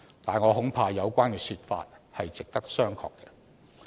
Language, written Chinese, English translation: Cantonese, 但是，我恐怕有關說法是值得商榷的。, Nonetheless I am afraid that this is debatable